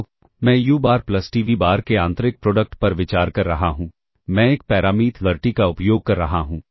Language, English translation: Hindi, So, i consider the inner product of u bar plus t v bar with I am using a parameter t